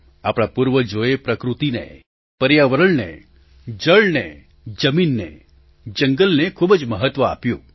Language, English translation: Gujarati, Our forefathers put a lot of emphasis on nature, on environment, on water, on land, on forests